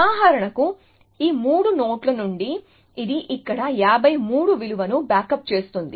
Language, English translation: Telugu, from these three nodes it will back up the value 53 here